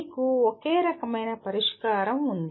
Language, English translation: Telugu, There is only one particular solution you have